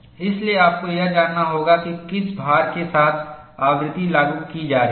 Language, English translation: Hindi, So, you will have to know what is the frequency with which load is being applied